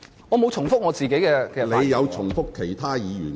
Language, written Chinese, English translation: Cantonese, 我沒有重複自己的論點。, I have not repeated my viewpoints